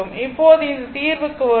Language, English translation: Tamil, So, now, come to this solution